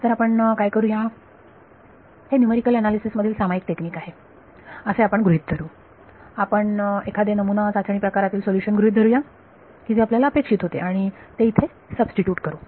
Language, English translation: Marathi, So, what will do is we will assume this is a common technique in numerical analysis you assume a kind of a trial form of the solution that you expected to be and substitute in